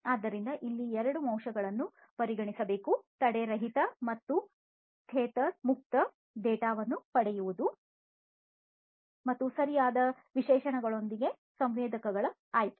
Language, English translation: Kannada, So, here two factors should be considered obtaining seamless and tether free data and selection of sensors with proper specifications